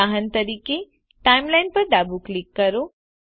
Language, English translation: Gujarati, For example, Left click Timeline